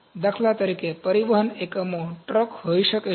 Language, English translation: Gujarati, The transport units for instance may be trucks